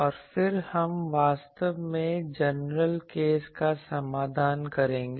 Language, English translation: Hindi, And then, we will go to actually solution of the general case